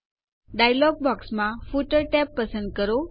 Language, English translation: Gujarati, Select the Footer tab in the dialog box